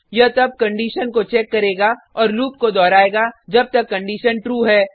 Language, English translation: Hindi, It will then check the condition and repeat the loop while the condition is true